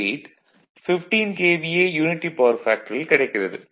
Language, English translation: Tamil, 98 at 15 KVA at unity power factor